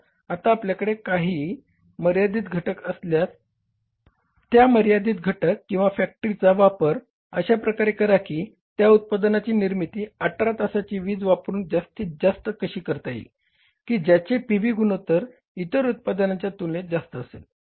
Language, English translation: Marathi, So now if there is some key or limiting factor, you have to use that limiting factor or key factor in a way that production of those products will be maximum by using that power for 18 hours whose PV ratio is the comparatively higher as compared to the other ones